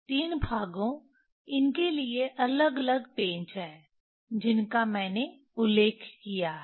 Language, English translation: Hindi, The three parts, to this there are different screws I mentioned